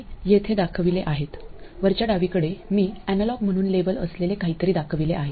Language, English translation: Marathi, At the top left, I have shown something that is labeled as analog